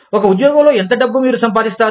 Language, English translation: Telugu, How much money, do you make, in one job